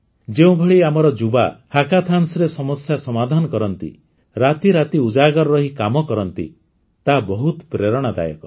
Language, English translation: Odia, The way our youth solve problems in hackathons, stay awake all night and work for hours, is very inspiring